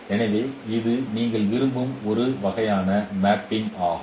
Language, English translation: Tamil, So this is a kind of mapping you would like to have